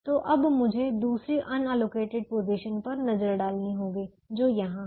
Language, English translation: Hindi, let me now look at the second unallocated position which is here